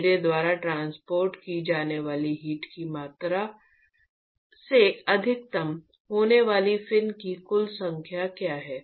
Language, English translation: Hindi, What is the total number of fins that is going to maximize by my total amount of heat that is transported